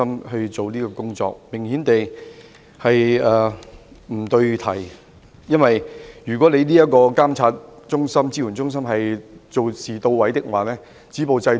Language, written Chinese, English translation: Cantonese, 顯而易見，這是不對題的，因為如果監援中心的工作到位，理應早已能夠止暴制亂。, Obviously it is irrelevant to what is going on now . I say so because had the work of EMSC been effective the authorities should have been able to stop violence and curb disorder long ago